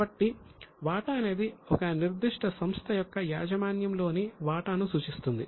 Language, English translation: Telugu, So, share refers to the share in the ownership of a particular company